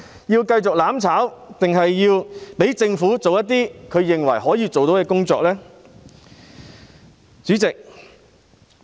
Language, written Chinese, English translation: Cantonese, 要繼續"攬炒"，還是讓政府做些他們認為可以做到的工作呢？, Should we pursue mutual destruction or to allow the Government to do the work considered to be within their capabilities?